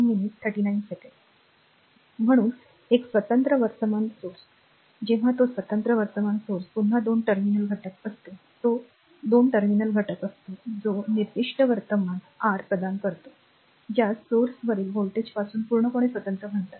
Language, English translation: Marathi, So, an independent current source, when it is independent current source again it is a two terminal elements, it is a two terminal element that provides a specified current right your, what you call completely independent of the voltage across the source